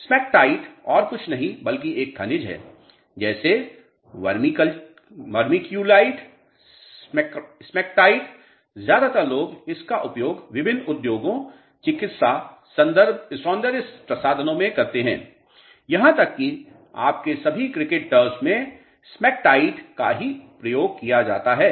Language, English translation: Hindi, Smectite is nothing but a clay mineral like vermiculite, smectite – mostly people use it in different industries, medicine, cosmetics even all your cricket turfs smectite is the one which is used